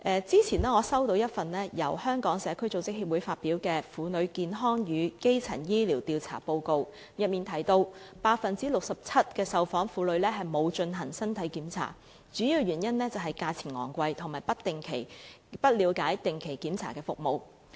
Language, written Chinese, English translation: Cantonese, 早前我收到一份由香港社區組織協會發表的《婦女健康與基層醫療調查報告》，當中提到 67% 的受訪婦女沒有進行身體檢查，主要原因是價錢昂貴，以及她們不了解定期檢查的服務。, Sometime ago I received the Survey Report on Womens Health and Primary Healthcare released by the Society for Community Organization in which it was mentioned that 67 % of the women interviewed did not have any body check . The main reasons were high prices and their lack of understanding of the regular check - up services